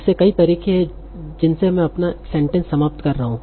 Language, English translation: Hindi, So there are many ways in which I can end my sentence